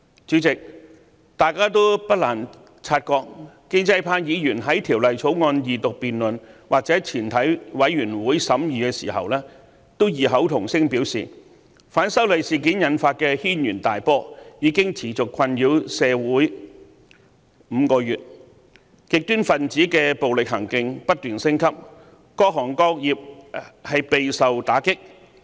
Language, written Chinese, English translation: Cantonese, 主席，大家不難察覺，建制派議員在《條例草案》二讀辯論或全體委員會審議階段均異口同聲表示，反修例事件引發的軒然大波已經持續困擾社會5個月，極端分子的暴力行徑不斷升級，各行各業備受打擊。, President as we may notice during the Second Reading debate and the Committee stage all pro - establishment Members spoke with one voice that the storm arising from the opposition to the proposed legislative amendments had persistently troubled the community for five months and with the escalation of violent acts by extremists a wide range of industries were hard hit